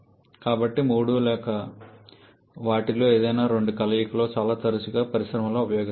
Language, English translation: Telugu, So, all three or the combination of all three or any two of them or quite often used in industries